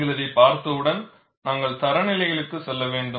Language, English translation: Tamil, Once you have looked at this, we have to go for standards